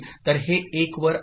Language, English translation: Marathi, So, this is at 1